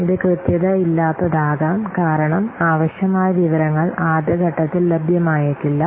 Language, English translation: Malayalam, It may be inaccurate because the necessary information may not be available in the early phase